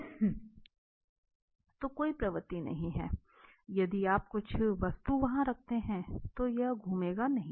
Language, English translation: Hindi, So, there is no tendency, if you place some object there, it will not rotate